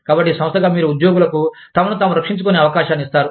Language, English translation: Telugu, So, as the organization, you give the employees, a chance to defend themselves